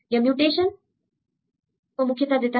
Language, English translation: Hindi, It considers mutations